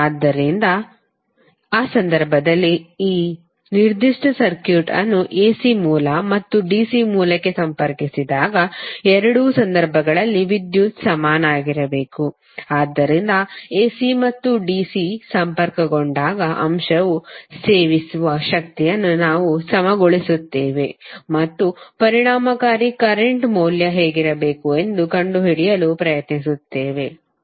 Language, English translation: Kannada, So in that case when we connect this particular circuit to AC source and DC source the power should be equal in both of the cases, so we will equate the power consumed by the element when it is connected to AC and VC and try to find out what should be the value of effective current